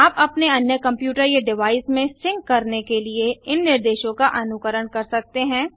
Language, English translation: Hindi, You can follow these instructions to sync your other computer or device